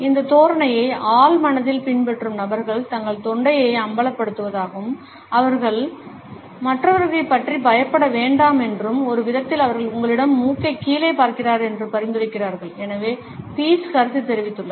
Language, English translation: Tamil, Pease has commented that people who adopt this posture in a subconscious manner expose their throat suggesting that they are not afraid of other people and in a way they suggest that they are looking down their nose to you